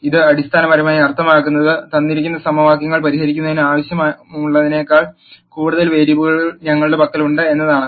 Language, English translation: Malayalam, What this basically means, is that we have lot more variables than necessary to solve the given set of equations